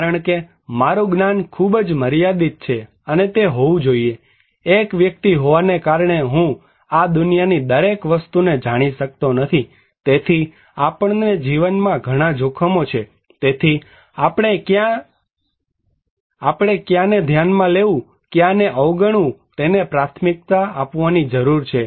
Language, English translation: Gujarati, Because my knowledge is very limited and that should be, being an individual I cannot know everything in this world, so we have many risks at life so, we need to prioritize which one to consider, which one to ignore